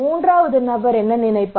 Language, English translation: Tamil, A third person, he may think